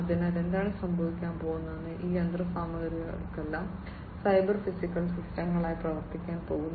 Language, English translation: Malayalam, So, what is going to happen, these machineries are all going to behave as cyber physical systems